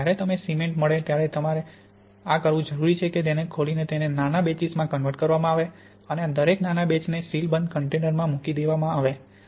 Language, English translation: Gujarati, When you do get your cement, what you want to do is to break it up into smaller batches and put each of these smaller batches in sealed containers